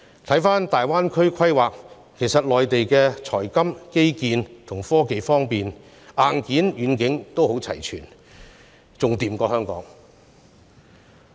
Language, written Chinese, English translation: Cantonese, 細看大灣區的規劃，其實內地就財金、基建和科技方面，其硬件和軟件均十分齊全，更勝香港。, Upon taking a close look at the planning of the Greater Bay Area one will find that Mainland is actually better than Hong Kong in terms of both its hardware and software in the domains of finance infrastructure and technology